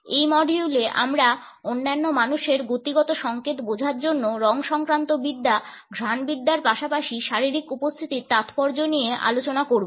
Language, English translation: Bengali, In this module we would be discussing Chromatics, Olfactics as well as the significance of Physical Appearance to understand the kinetic signals of other people